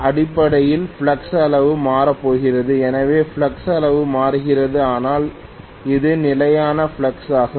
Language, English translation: Tamil, Basically the flux magnitude is going to change so flux magnitude is changing but it is stationary flux